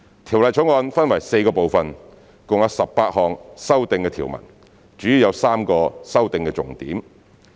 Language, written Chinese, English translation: Cantonese, 《條例草案》分為4個部分，共有18項修訂條文，主要有3個修訂重點。, The Bill consists of four parts with a total of 18 amendments and three key points of amendments